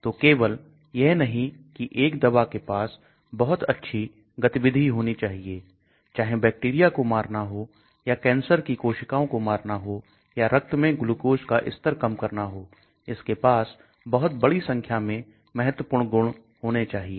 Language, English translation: Hindi, So it is not only that a drug should have very high activity whether killing bacteria, or whether killing cancerous cells, or whether reducing the glucose levels in the blood it should have large number of important properties